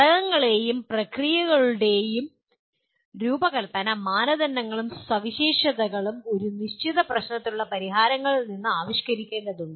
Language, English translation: Malayalam, The design criteria and specifications of components and processes need to be evolved from the solutions to a given problem